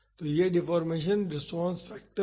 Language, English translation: Hindi, So, this is the deformation response factor